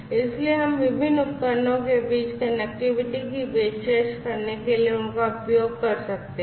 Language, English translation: Hindi, So, we could use them to offer connectivity between these different devices